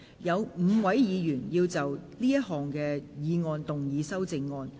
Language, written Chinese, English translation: Cantonese, 有5位議員要就這項議案動議修正案。, Five Members will move amendments to this motion